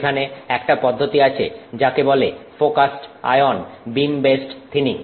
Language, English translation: Bengali, There is a process called focused ion beam based thinning